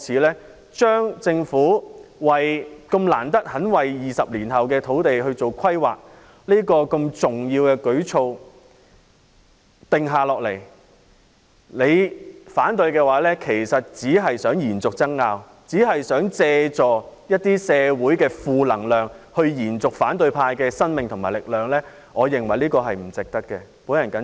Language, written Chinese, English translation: Cantonese, 難得政府願意為20年後的土地供應進行規劃，並制訂如此重要的舉措，議員如果反對，其實只是想延續爭拗，想借助社會的一些負能量來延續反對派的生命和力量，我認為不值得這樣做。, The Government should be commended for planning the land supply for 20 years later and formulating such an important initiative . Those Members who oppose this initiative are in fact intended to prolong the disputes and take advantage of some negative sentiments in the community to extend the life of and empower the opposition camp . I do not consider it worthwhile for them to do so